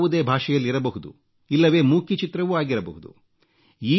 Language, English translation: Kannada, It can be in any language; it could be silent too